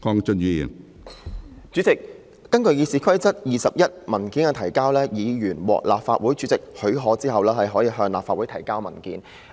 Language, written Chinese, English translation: Cantonese, 主席，根據《議事規則》第21條"文件的提交"，"......議員獲立法會主席許可後，亦可向立法會提交文件。, President according to Rule 21 of the Rules of Procedure RoP A paper may be presented to the Council with the permission of the President by a Member